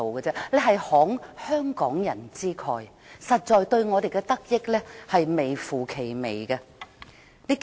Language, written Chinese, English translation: Cantonese, 這是慷香港人之慨，香港人的得益微乎其微。, Hong Kong people are made to foot the bill while their benefits are actually negligible